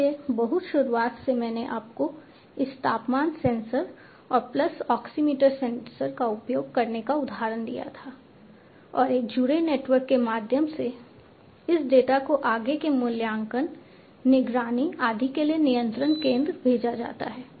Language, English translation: Hindi, So, at the very outset I had given you the example of this temperature sensor and pulse oximeter sensor being used and through a connected network this data is sent to the control center for further evaluation, monitoring, and so on